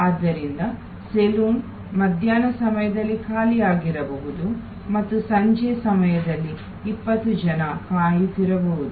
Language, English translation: Kannada, So, the saloon may be lying vacant during afternoon hours and may be 20 people are waiting in the evening hours